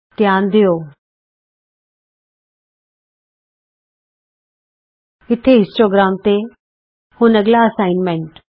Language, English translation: Punjabi, notice the histogram here Now to the next assignment